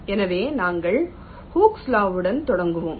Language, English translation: Tamil, so we start with hookes law